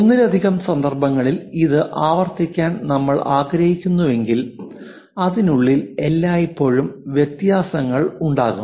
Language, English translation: Malayalam, If you want to repeat it multiple objects you would like to create there always be variations within that